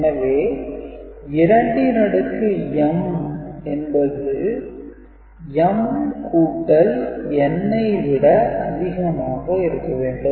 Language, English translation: Tamil, So, 2 to the power 4 is 16, right 16 it needs to be greater than m which is 4 plus n